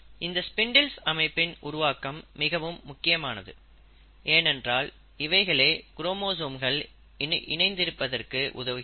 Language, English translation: Tamil, And these spindle formation is important because it will allow and help the chromosomes to attach